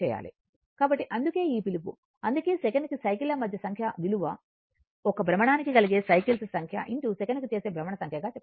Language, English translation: Telugu, So, that is why this your what you call, that is why number of cycles per second is the number of cycles per revolution into number of revolution per second